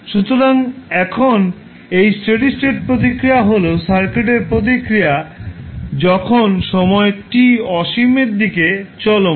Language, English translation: Bengali, So, now this steady state response is the response of the circuit at the time when time t tends to infinity